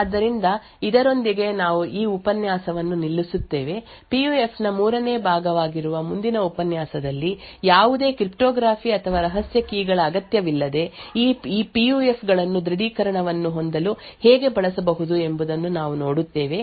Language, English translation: Kannada, So with this we will stop this lecture, in the next lecture which is a third part of PUF, we will look at how these PUFs could be used to have an authentication without the need for any cryptography or secret keys